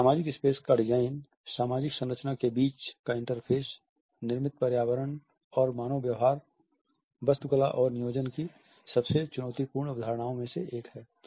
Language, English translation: Hindi, The design of a social space the interface between social structure, built environment and human behaviour is one of the most challenging concepts of architectural and planning